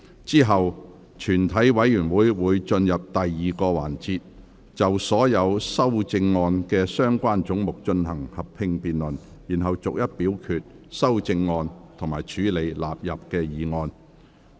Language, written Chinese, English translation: Cantonese, 之後全體委員會會進入第二個環節，就所有修正案及相關總目進行合併辯論，然後逐一表決修正案及處理納入議案。, Committee will then move on to the second session to conduct a joint debate on all the amendments and the relevant heads . We will then vote on the amendments seriatim and deal with questions of the sums standing part of the Bill